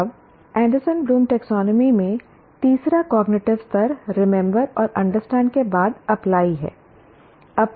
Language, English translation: Hindi, Now, the third cognitive level in the Anderson Bloom taxonomy after remember and understand is apply